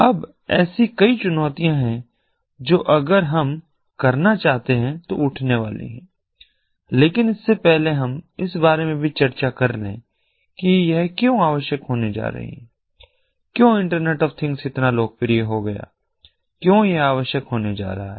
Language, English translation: Hindi, now, there are several challenges that are going to arise if we want to do it, but before that, it is also discuss about why it is going to be required, why internet of things has become so popular, why it is going to be required